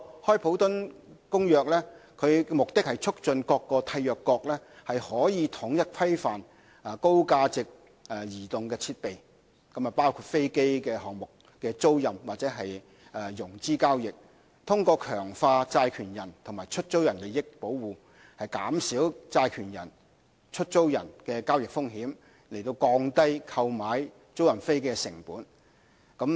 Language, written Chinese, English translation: Cantonese, 《開普敦公約》的目的是促進各締約國統一規範高價值的移動設備，包括飛機項目的租賃或融資交易，通過強化債權人和出租人的利益保護，減少債權人和出租人的交易風險，以降低購買租賃飛機的成本。, The Cape Town Convention seeks to facilitate the adoption of an universal regulatory regime on mobile equipment of high value including the leasing or financing of aircraft items among the state parties to the Convention . The Convention seeks to reduce the transaction risks borne by creditors and lessors through strengthening protection of their interests so that they can lower the costs on purchasing or leasing aircraft